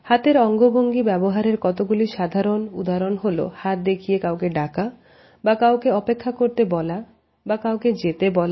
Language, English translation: Bengali, The most common hand gestures are when we try to call somebody indicating the person to come close to us or when we ask somebody to wait or we ask somebody to go away